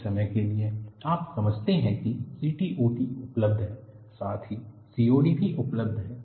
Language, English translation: Hindi, For the time being, you understand there is CTOD available, as well as COD available